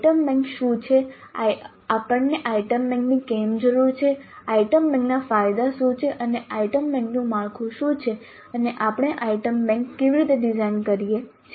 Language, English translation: Gujarati, What are the adorn days of item bank and what is the structure of an item bank and how do we design an item bank